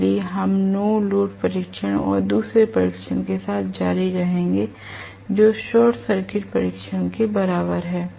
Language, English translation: Hindi, So, we will continue with the no load test and the second test which is equivalent to short circuit test